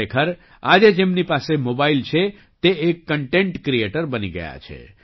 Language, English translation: Gujarati, Indeed, today anyone who has a mobile has become a content creator